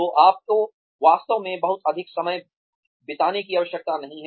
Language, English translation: Hindi, So, you do not really need to spend too much time